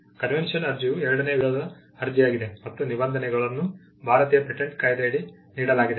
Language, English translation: Kannada, A convention application is the second type of application and the provisions are given under the Indian Patents Act